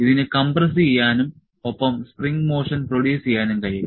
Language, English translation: Malayalam, It can compress and produce the spring motion